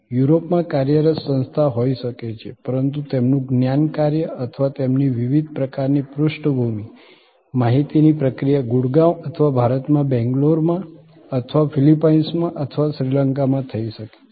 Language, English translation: Gujarati, So, there can be an organization which is operating in the heart of Europe, but their knowledge work or their processing of their various kinds of background information may be done in Gurgaon or in Bangalore in India or could be done in Philippines or in Sri Lanka